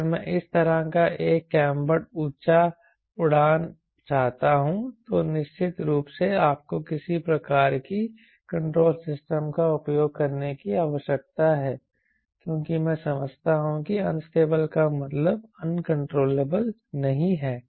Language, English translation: Hindi, also, if i want to fly a cambered type of this, then of course you need to use some sort of a control system, because i understand that unstable doesnt mean uncontrollable, right